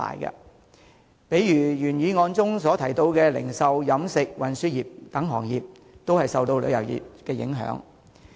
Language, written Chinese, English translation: Cantonese, 舉例說，原議案提到的零售、飲食和運輸等行業也會受旅遊業影響。, For example such industries as retail catering and transport mentioned in the original motion can be affected by the tourism industry